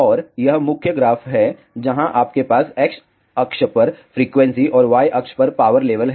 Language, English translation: Hindi, And, this is the main graph where you have frequency on the X axis and power level on the Y axis